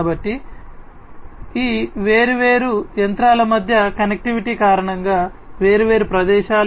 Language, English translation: Telugu, So, the because of this connectivity between these different machines different locations and so on